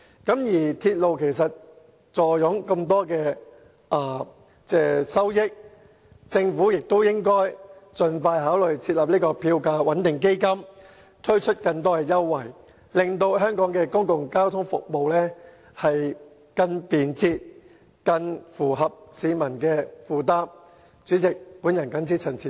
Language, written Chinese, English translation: Cantonese, 港鐵公司坐擁龐大收益，政府應該盡快考慮成立票價穩定基金，並推出更多優惠，令香港的公共交通服務更便捷及更符合市民的負擔能力。, As MTRCL has made huge profits the Government should consider setting up a fare stabilization fund as soon as possible and introduce more concessionary offers so that Hong Kong can provide more convenient and affordable public transport services for the public